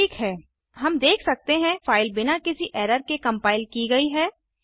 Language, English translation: Hindi, Alright now the file is compiled as we see no error